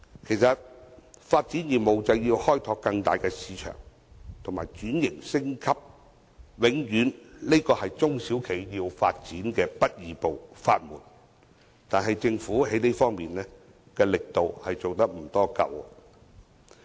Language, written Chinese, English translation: Cantonese, 其實發展業務就要開拓更大市場及轉型升級，這永遠是中小企要發展的不二法門，但是，政府在這方面的力度並不足夠。, In fact expanding business means exploring a larger market transforming and upgrading . This is the only way for SMEs to develop their businesses successfully . However the Government has not put in enough efforts in this respect